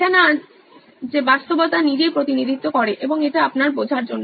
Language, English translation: Bengali, It’s not reality itself represented, and it’s to your understanding